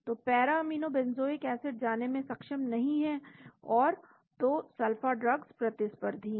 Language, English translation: Hindi, So, para aminobenzoic acid is not able to go and bind so sulpha drugs are competitive